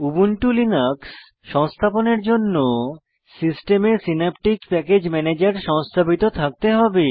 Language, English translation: Bengali, For Ubuntu Linux installation, you must have Synaptic Package Manager installed on your system